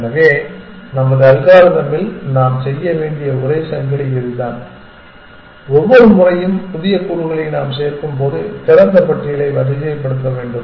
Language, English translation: Tamil, So, this is the only chain we would need to make in our algorithm that we have to sort the open list every time we add new elements essentially